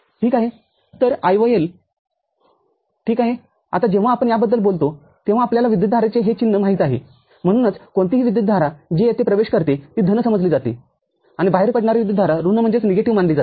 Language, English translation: Marathi, So, the IOL all right, now when we talk about this you know these sign of the current, so any current that is going into is consider positive and going out off is considered as negative